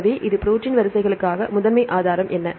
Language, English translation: Tamil, So, now what is the primary resource for the protein sequences